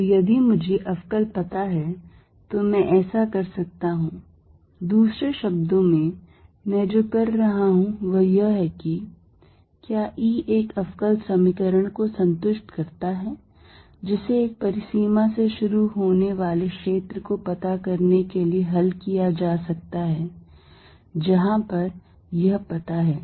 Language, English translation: Hindi, So, if I know the differentials I can do that, in other words what I am saying is:Does E satisfy a differential equation that can be solved to find the field starting from a boundary where it is known